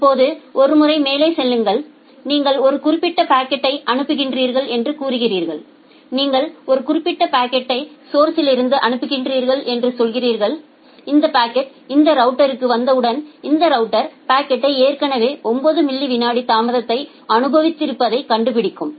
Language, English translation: Tamil, Now one up once so you are sending a particular packet say you are sending a particular packet from the source and once this packet reaches to this router then this router finds out that the packet has already experienced 9 millisecond of delay